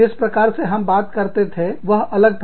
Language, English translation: Hindi, The way, we spoke, was different